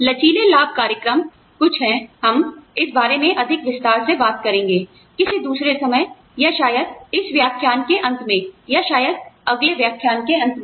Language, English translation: Hindi, Flexible benefits program is something, we will talk about in a greater detail, some other time, or maybe towards the end of this lecture, or maybe the end of next lecture